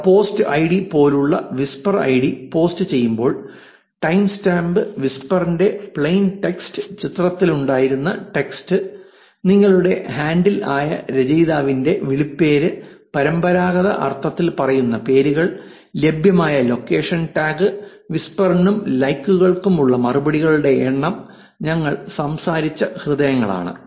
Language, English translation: Malayalam, They included whisper id, which is like a post id, time stamp when the post was done, plain text of the whisper the text that was on the picture, author's nickname which is the your handle, names so to say in the traditional sense, a location tag if it was available, number of replies for the whisper and of course, the likes is the hearts that we talked about